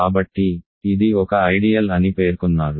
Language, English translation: Telugu, So, claim is that this is an ideal